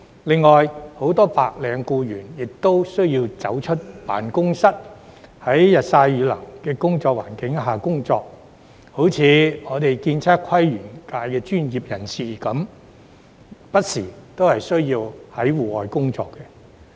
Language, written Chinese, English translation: Cantonese, 另外，很多白領僱員亦需要踏出辦公室，在日曬雨淋的環境下工作，例如建測規園界的專業人士亦不時需要在戶外工作。, Besides many white - collar employees also have to step out of their offices and work under the scorching sun and lashing rain . For example professionals in the architectural surveying planning and landscape sector also have to work outdoors from time to time